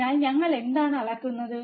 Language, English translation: Malayalam, So, what are we are measuring